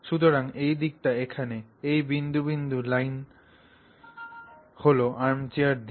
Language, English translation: Bengali, So, this direction, this dotted line that I have drawn here is the arm chair direction